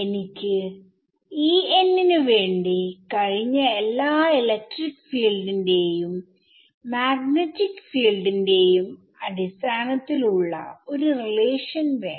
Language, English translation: Malayalam, E n, I want a relation for E n in terms of all past electric field and magnetic field